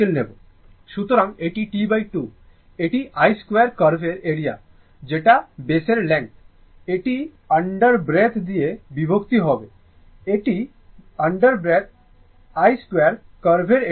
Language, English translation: Bengali, So, this is your T by 2 therefore, this is area of I square curve divided by the length of base under root, this is under root, area of the I square curve